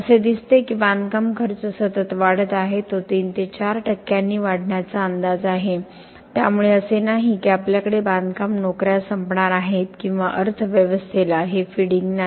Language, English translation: Marathi, It also looks like the construction spending is continuing to increase it is estimated to increase by 3 to 4 percent so it is not that we have are going to run out of construction jobs or not have this feeding into the economy